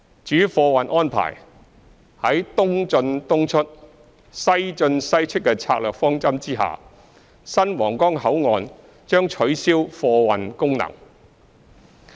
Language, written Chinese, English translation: Cantonese, 至於貨運安排，在"東進東出、西進西出"的策略方針下，新皇崗口岸將取消貨運功能。, Speaking of the arrangements for cargo transport under the strategic directive of East in East out West in West out the cargo clearance function of the new Huanggang Port will be dispensed with